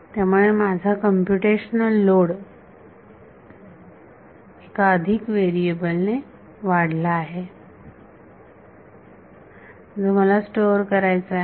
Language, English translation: Marathi, So, I have my computational load has increased by one more variable that I have to store